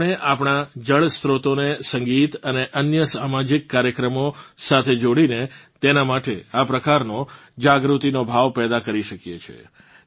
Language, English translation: Gujarati, We can create a similar sense of awareness about our water bodies by connecting them with music and other social programs